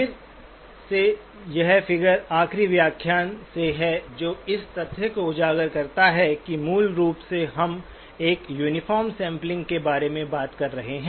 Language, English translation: Hindi, Again this figure is from the last lecture highlighting the fact that basically we are talking about uniform sampling